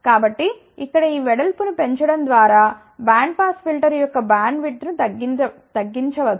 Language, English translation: Telugu, So; that means, by increasing this width here, we can actually speaking decrease the bandwidth of the band pass filter